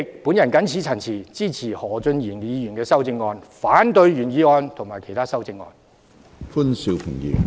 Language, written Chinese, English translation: Cantonese, 我謹此陳辭，支持何俊賢議員的修正案，反對原議案及其他修正案。, I so submit in support of Mr Steven HOs amendment and in opposition to the original motion and all other amendments